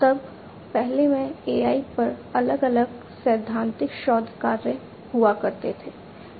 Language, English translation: Hindi, Then in, you know, earlier there used to be different theoretical research works on AI